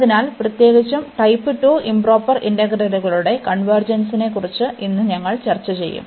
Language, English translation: Malayalam, So, in particular we will discuss today the convergence of improper integrals of type 2